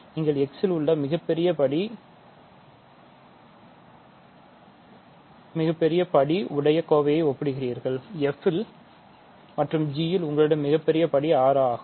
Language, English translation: Tamil, So, you compare terms the largest degree that you have in x, in f is 5 largest degree you have in g is 6